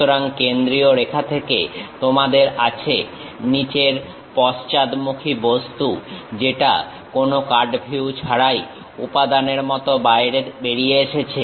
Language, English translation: Bengali, So, from center line you have the bottom back side object which really comes out like a material without any cut view